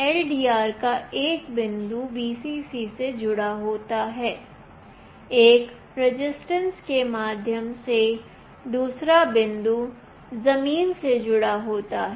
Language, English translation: Hindi, One point of the LDR is connected to Vcc, another point through a resistance is connected to ground